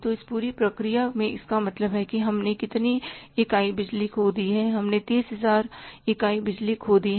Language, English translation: Hindi, So, it means in this entire process how much units of the power we have lost